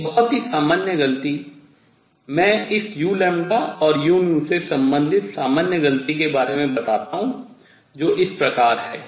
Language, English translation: Hindi, A very common mistake; let me point this out common mistake in relating u lambda and u nu is as follows